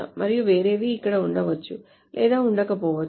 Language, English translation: Telugu, And the others may or may not be there